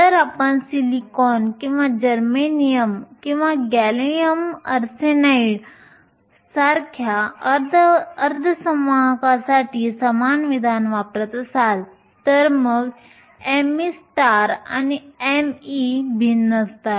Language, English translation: Marathi, This expression will stand if you are using the same expression for semiconductors like silicon or germanium or gallium arsenide then m e star and m e are different